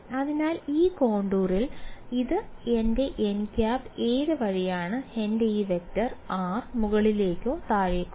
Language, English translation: Malayalam, So, on this contour this is my n hat right which way is my this vector r upwards or downwards